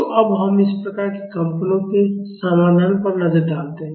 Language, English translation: Hindi, So, now, let us look at the solution of these type of vibrations